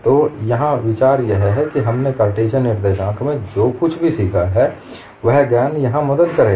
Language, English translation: Hindi, So the idea here is whatever we have learnt in Cartesian coordinate, the knowledge would help here